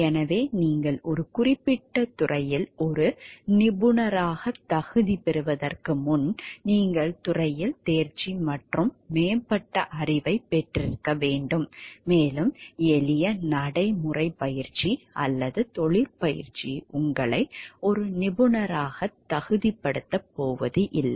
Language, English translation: Tamil, So, you have to have mastery and advanced knowledge in the field before you can qualify to be a professional in a particular field and not simple practical training or apprenticeship is going to qualify you to be a professional